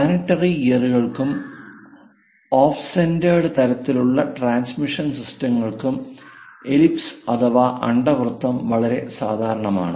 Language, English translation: Malayalam, Ellipse are quite common for planetary gears and off centred kind of transmission kind of systems